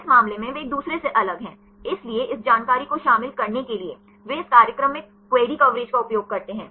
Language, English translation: Hindi, In this case, they are different from each other; so to include this information; they use the query coverage in this program